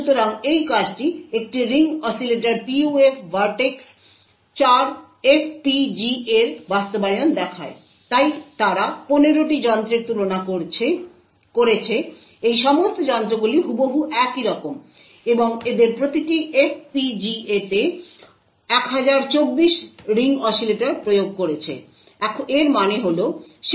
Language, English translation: Bengali, So, this paper shows the implementation of a Ring Oscillator PUF vertex 4 FPGA, so they compared 15 such devices, all of these devices are exactly identical and they implemented 1024 ring oscillators in each FPGA, this means that the N over there was 1024